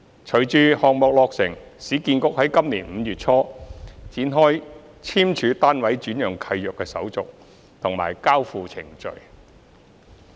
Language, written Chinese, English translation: Cantonese, 隨着項目落成，市建局在今年5月初展開簽署單位轉讓契約的手續和交付程序。, Following the completion of the project URA commenced execution of assignment and handover procedures in early May this year